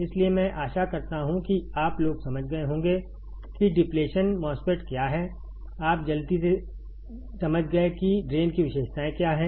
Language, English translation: Hindi, So, I hope that you guys understood, what is a depletion MOSFET; you understood quickly what are the Drain characteristics